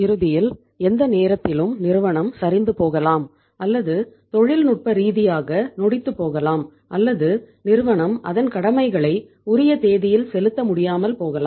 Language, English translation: Tamil, Ultimately any time the firm may collapse or it may become technically insolvent and firm maybe unable to pay its obligations on the due date